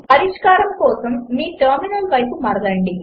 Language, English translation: Telugu, Switch to your terminal for solution